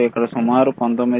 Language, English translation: Telugu, Here is about 19